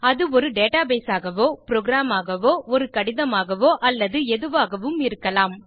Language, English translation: Tamil, It can be a database, a program, a letter or anything